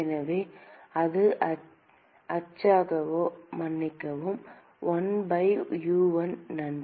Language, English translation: Tamil, So, that will be the oops sorry, 1 by U1 thanks